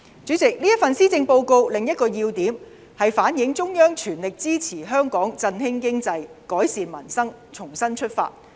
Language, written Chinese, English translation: Cantonese, 主席，這份施政報告另一個要點是反映中央全力支持香港振興經濟，改善民生，重新出發。, President another focal point of the Policy Address is on the full support given by the Central Government to invigorate Hong Kongs economy to improve the peoples livelihood so that Hong Kong can start afresh